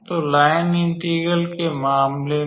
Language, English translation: Hindi, So, in case of line integral